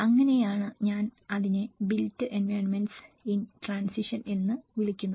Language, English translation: Malayalam, So that is where I call it as built environments in transition